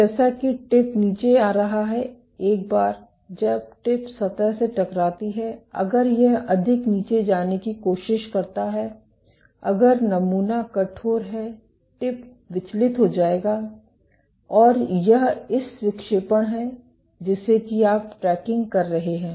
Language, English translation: Hindi, So, as the tip is coming down imagine once the tip hits the surface, if it tries to go down more if the sample is stiff the tip will get deflected and it is this deflection that you are tracking